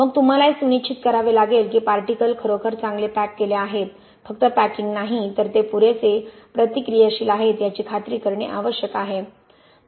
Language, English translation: Marathi, Then you have to ensure that the particles are packed really well, you have to pack them really well like I told you before, not just packing you have to ensure that they are reactive enough right